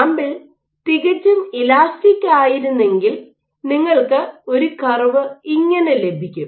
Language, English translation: Malayalam, If the sample was perfectly elastic you would get a curve